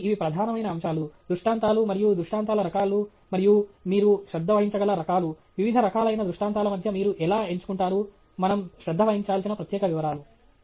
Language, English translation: Telugu, So, these are the major things aspects associated with illustrations and the types of illustrations, and the kinds of things that you can pay attention to, how you select between various forms of illustrations, the particular details that we need to pay attention to